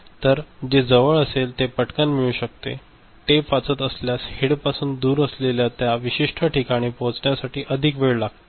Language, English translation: Marathi, So, the one which is closer, you can fetch it quickly, the one that is farther from the head which is reading the tape then it will take more time to reach that particular location ok